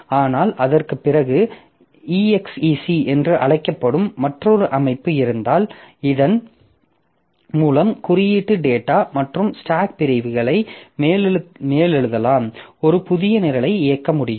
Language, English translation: Tamil, But after that, so if the there is another system called exec by which you can override the code data, the code data and stack segments of the process